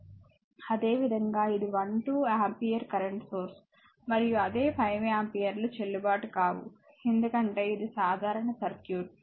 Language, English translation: Telugu, Similarly, this 1 2 ampere currents source and another 5 ampere in the same it is not valid because it is a simple circuit